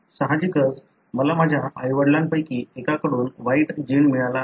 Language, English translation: Marathi, Obviously I should have gotten the bad gene from one of my parents